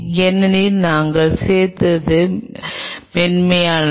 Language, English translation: Tamil, right, because the smooth we added